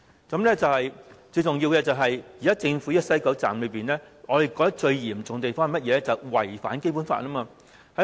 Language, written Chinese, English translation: Cantonese, 最嚴重的問題是，現時政府的西九站"一地兩檢"安排違反《基本法》。, All these are deceitful and hypocritical . The most serious problem is that the current WKS co - location arrangement breaches the Basic Law